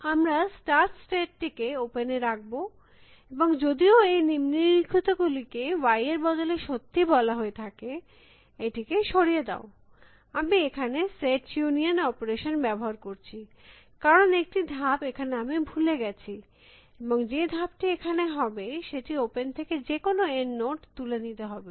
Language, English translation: Bengali, So, we put the start state in the open and though the following, while or instead of y it is say true, remove, I am using the set union operation, because I forgot one step and the step that is going to be here is pick some node N from open